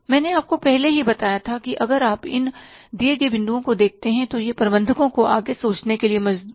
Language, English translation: Hindi, I told you already, but here if you look at the points given that it compels managers to think at